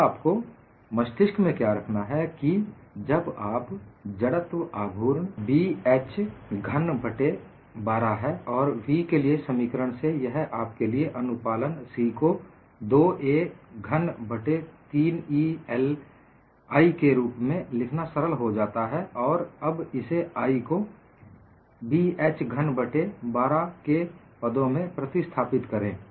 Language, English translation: Hindi, Currently, we will just go and look at what is the energy release rate for this problem, and what you will have to keep in mind is, the moment of inertia is Bh cube by 12, and from the expression for v, it is easy for you to write the compliance C as 2a cube by 3EI, and now replace I in terms of Bh cube by 12